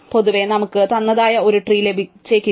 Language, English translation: Malayalam, In general, we may not get a unique spanning tree